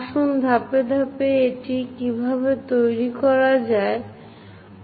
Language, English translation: Bengali, Let us do that step by step how to construct it